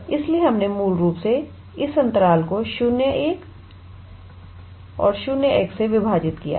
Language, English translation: Hindi, So, we basically divided this interval 0 to 1 by 0 to x